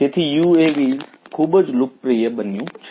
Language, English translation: Gujarati, So, UAVs have become very popular